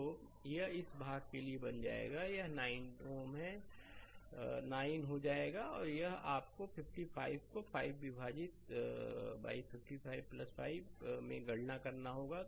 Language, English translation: Hindi, So, it will become for this part it will become 9 ohm and this one you have to calculate 55 into 5 divided by 55 plus 5 right